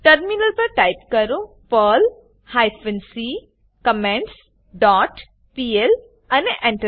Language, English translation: Gujarati, On the Terminal, type perl hyphen c comments dot pl and press Enter